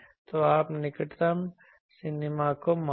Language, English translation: Hindi, So, you measure the nearest minima